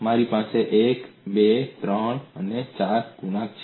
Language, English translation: Gujarati, I have 1, 2, 3, 4 coefficients